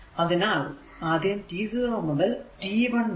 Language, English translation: Malayalam, So, at t is equal to 0